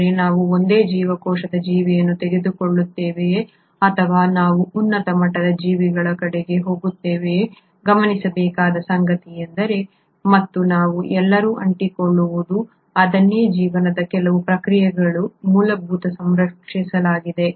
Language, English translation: Kannada, But whether we take a single celled organism or we go across all the way to higher end organism, what is interesting is to note and this is what we all cling on to is that certain processes of life are fundamentally conserved